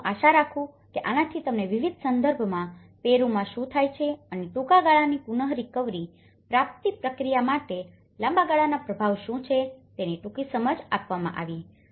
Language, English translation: Gujarati, I hope this has given you a brief understanding of what happens in Peru in different context and what are the long term impacts for the short term recovery process